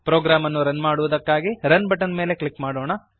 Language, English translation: Kannada, Let us click on Run button to run the program